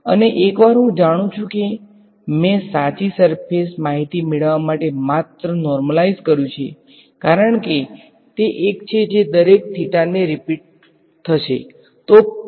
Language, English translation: Gujarati, And, once I get that I know that I have just normalised to get the correct surface thing because, it is the same thing that will be repeated at every theta